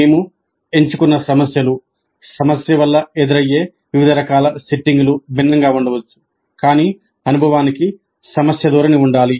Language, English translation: Telugu, Because the kind of problems that we choose, the kind of setting in which the problem is posed could differ but the experience must have a problem orientation